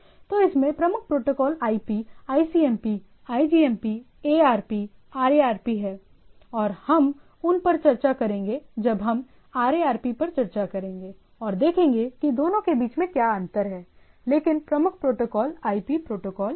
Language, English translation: Hindi, So, predominant protocol in this is the IP, ICMP, IGMP, ARP, RARP and we will discuss those when we discuss at the RARP what are the different, but the major protocol is the IP protocol